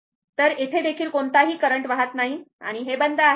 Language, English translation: Marathi, So, no current is flowing here also and this is closed right